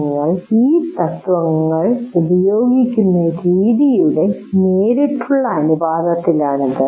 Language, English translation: Malayalam, So it is in direct proportion to the way you are using these principles